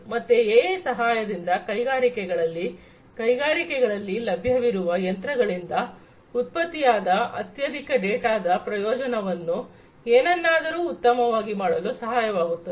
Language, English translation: Kannada, So, with the help of AI in industries, in the industries are capable of taking the advantage of large amount of data that is generated by the machines to do something better